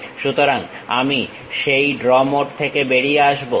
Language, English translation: Bengali, So, I will come out of that draw mode